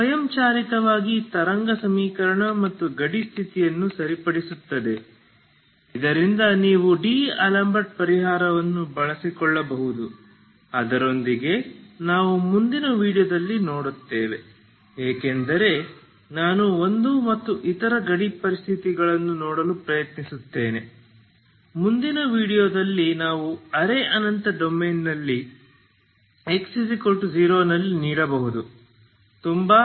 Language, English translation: Kannada, So that this at automatically satisfy the wave equation and the boundary condition ok so that you can make use of D'Alembert solution and with that we will see in the next video as I will try to see that one and what are the other boundary conditions we can give at X equal to 0 in the semi infinite domain will see that in the next video, thank you very much